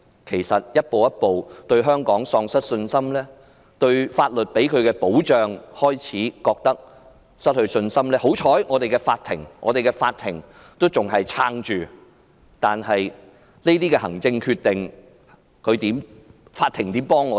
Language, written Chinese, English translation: Cantonese, 其實外商正逐步對香港喪失信心，對法律能給予他們的保障失去信心，幸好，香港的法庭依然屹立着，但是，面對這些行政決定，法庭又可如何幫助我們？, They are losing confidence in Hong Kong and they also lose the confidence that they are protected under the law . Fortunately courts in Hong Kong are still standing firmly but in the face of these administrative decisions of the Government how can the court help us?